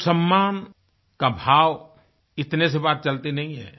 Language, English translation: Hindi, Only a sense of respect does not suffice